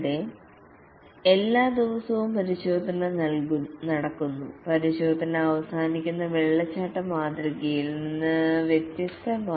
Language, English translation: Malayalam, Here every day the testing takes place unlike the waterfall model where testing is at the end